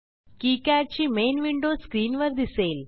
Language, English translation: Marathi, KiCad main window will appear on the screen